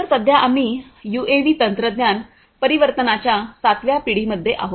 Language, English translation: Marathi, So, currently we are in the seventh generation of UAV technology transformation